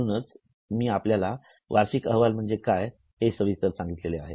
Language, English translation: Marathi, That's why in this session I have told you what is annual report